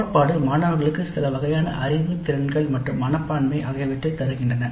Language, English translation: Tamil, The theory course gives certain kind of knowledge, skills and attitudes to the student